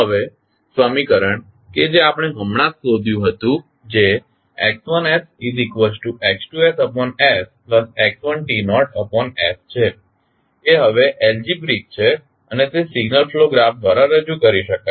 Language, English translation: Gujarati, Now, the equation that is we have just found that is x1s is equal to x2s by s plus x1 t naught by s is now algebraic and can be represented by the signal flow graph